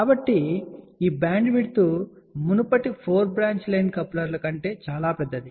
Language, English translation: Telugu, So, this bandwidth is much larger than even the earlier 4 branch line coupler